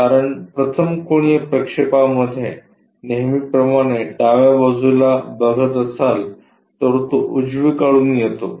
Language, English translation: Marathi, Because this 1st angle projection as usual left side if you are looking it comes on to the right side